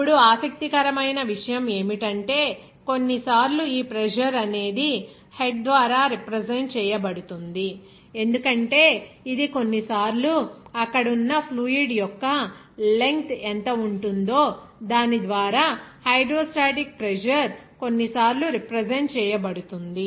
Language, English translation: Telugu, Now, interesting is that sometimes this pressure will be represented by head because it will be sometimes regarded as what is that length of the fluid there and by which the hydrostatic pressure will be sometimes will be represented